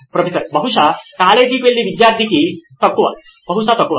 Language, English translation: Telugu, Probably the college going student probably lesser